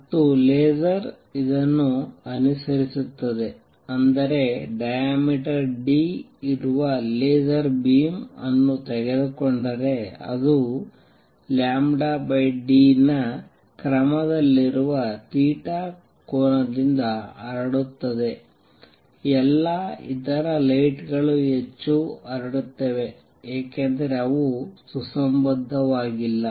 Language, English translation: Kannada, And laser follows this that means if I take a laser beam which is of diameter d, it will spread by angle theta which is of the order of lambda by d, all other lights spread much more because they are not coherent